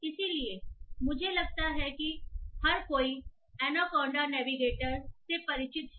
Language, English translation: Hindi, So I assume that everyone is familiar with Anaconda Navigator